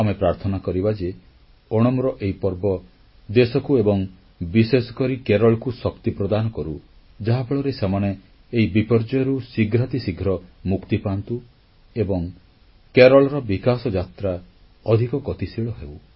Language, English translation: Odia, We pray for Onam to provide strength to the country, especially Kerala so that it returns to normalcy on a newer journey of development